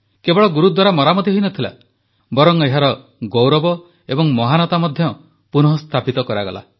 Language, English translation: Odia, Not only was the renovation done; its glory and grandeur were restored too